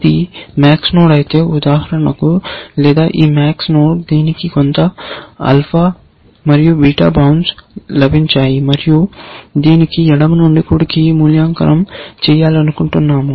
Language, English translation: Telugu, If it is a max node, like this one, for example, or this max node; it has got some alpha and beta bounce, given to it, and we want to evaluate this from left to right